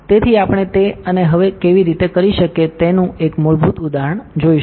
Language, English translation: Gujarati, So, we will see a very basic example of how can we do that and now